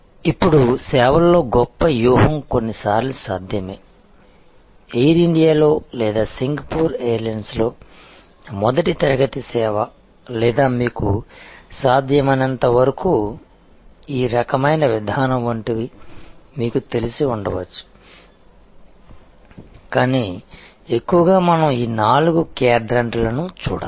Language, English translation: Telugu, Now, premium strategy in services is sometimes feasible, there could be you know like the first class service on Air India or on Singapore Airlines or this kind of positioning as possible, but mostly we have to look at these four quadrants